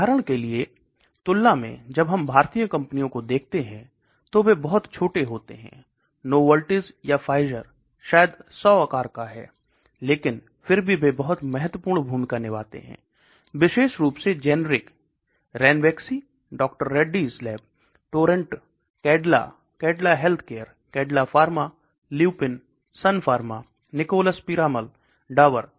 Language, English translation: Hindi, Let us look at Indian companies they are much smaller when compared to, for example Novartis or Pfizer maybe 100 size, but still they play a very important role, especially in generic, Ranbaxy Dr Reddy's lab, Torrent, Cadila, Cadila Healthcare, Cadila Pharma, Lupin, Sun Pharma, Nicholas Piramal, Dabur